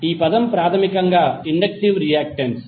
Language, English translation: Telugu, This term is basically the inductive reactance